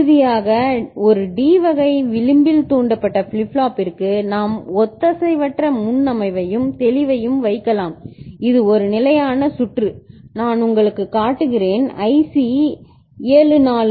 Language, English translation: Tamil, And finally, for a D type edge triggered flip flop we can put asynchronous preset and clear and this is a standard circuit that I show you, IC 7474 ok